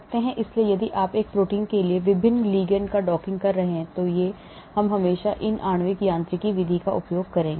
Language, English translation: Hindi, so if you are doing docking of various ligands to a protein then we always use these molecular mechanics method